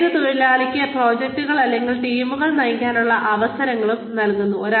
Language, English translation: Malayalam, It also gives the worker, opportunities to lead, projects or teams